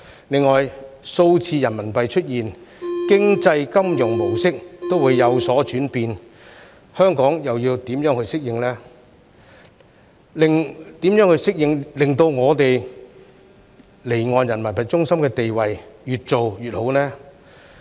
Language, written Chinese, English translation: Cantonese, 另外，數字人民幣出現，經濟金融模式都會有所轉變，香港又要怎樣去適應，令我們離岸人民幣中心的地位越做越好呢？, Besides given the emergence of digital RMB the economic and financial models will be changed . How can Hong Kong adapt to such changes in order to reinforce its status as an offshore RMB centre?